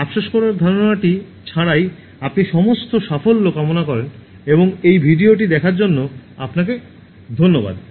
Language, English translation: Bengali, Without this sense of regret, wish you all success and thank you for watching this video